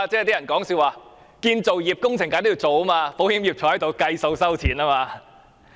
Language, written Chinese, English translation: Cantonese, 有人笑稱，建造業工程當然要做，保險業可坐着收錢。, Some say jokingly that the construction industry must work to get paid but the insurance industry can just sit back and get paid